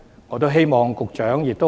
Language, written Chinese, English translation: Cantonese, 我希望局長回應一下。, I hope to hear the Secretarys response on this